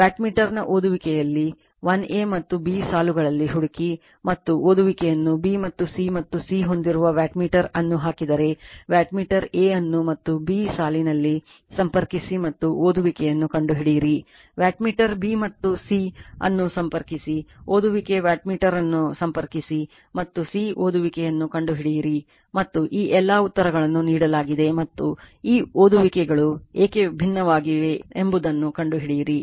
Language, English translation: Kannada, Find the readings of wattmeter in lines 1 a and b and the readings also , if, you put wattmeter in b and c and a c having , you connect the wattmeter in line a and b and find out the reading; you connect the wattmeter b and c , find out the reading you connect the wattmeter a and c find out the reading and all these answers are given all the and and you you are what you call and you find out why this readings are different right